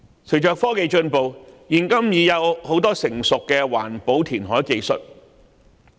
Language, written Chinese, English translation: Cantonese, 隨着科技進步，現今已有多項成熟的環保填海技術。, With technological advancement various sophisticated environmental technologies have been developed for reclamation today